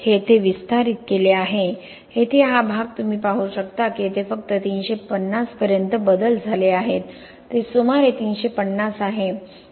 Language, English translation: Marathi, This is expanded here, this portion here you can see that the changes only up to 350 over here it is about 350